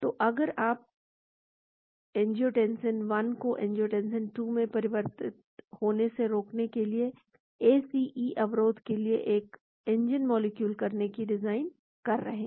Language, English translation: Hindi, So, if you are trying to design a new molecule for ACE inhibition to prevent the angiotensin 1 getting converted to angiotensin 2